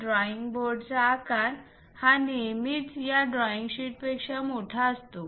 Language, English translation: Marathi, The drawing board size is always be larger than this drawing sheet